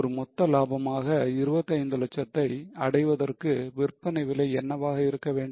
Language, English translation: Tamil, What should be the selling price in order to achieve a total profit of 25 lakhs